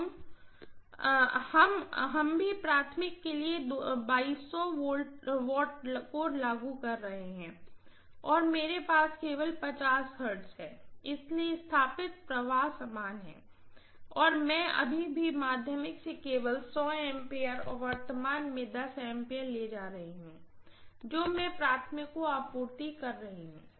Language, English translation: Hindi, We are still applying 2200 watts for the primary and I am having only 50 hertz, so the flux establish is the same and I am still drawing only 100 amperes of current from the secondary and 10 ampere I am supplying to the primary